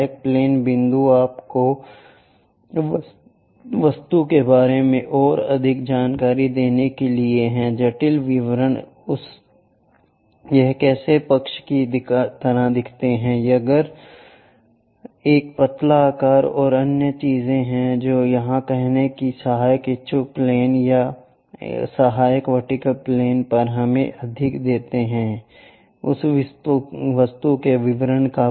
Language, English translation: Hindi, Auxiliary planes point is to give you more features about the object, the intricate details, how it looks like on side, perhaps if there is a tapered shape and other things, projecting that on to auxiliary inclined planes or auxiliary vertical planes gives us more details of that object